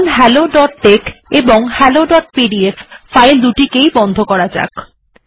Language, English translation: Bengali, So let me close hello dot tex and also hello dot pdf